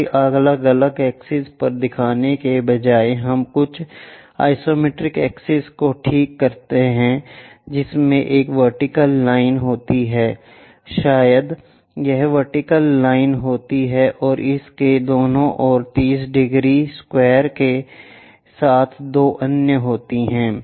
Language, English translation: Hindi, Rather than showing it on different access, we fix something named isometric access which consists of a vertical line, perhaps this is the vertical line and two others with 30 degrees square on either side of it